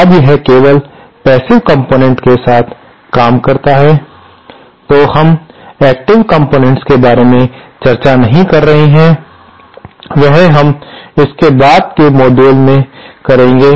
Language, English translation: Hindi, Now, this module deals only with passive components, we are not discussing the active components which we shall do it later models